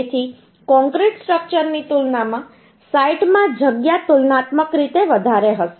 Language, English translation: Gujarati, So the space uhh in the in site will be comparatively high compare to concrete structures